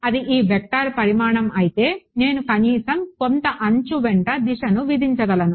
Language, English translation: Telugu, So, if it is the magnitude of this vector I am at least able to impose a direction along some edge ok